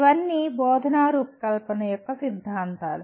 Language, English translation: Telugu, These are all theories of instructional design